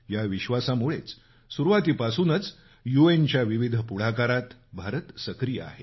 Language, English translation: Marathi, And with this belief, India has been cooperating very actively in various important initiatives taken by the UN